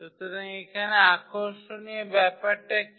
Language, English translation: Bengali, So, here and what is interesting